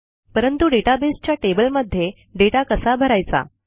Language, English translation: Marathi, But, how do we enter data into the database tables